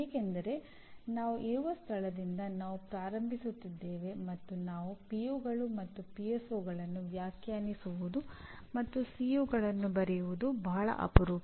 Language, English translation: Kannada, Because we are starting from where we are and it is very rare that we define POs and PSOs and write COs